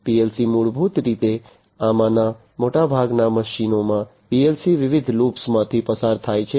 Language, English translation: Gujarati, So, PLC basically in most of these machines PLC goes through different loops